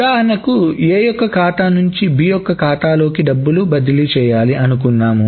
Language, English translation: Telugu, So, suppose this transfer of money from A's account to B's account